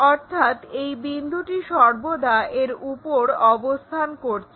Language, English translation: Bengali, So, this point always be on that ground